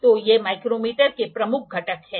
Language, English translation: Hindi, So, these are the major components of the micrometer